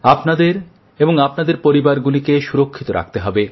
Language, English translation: Bengali, You have to protect yourself and your family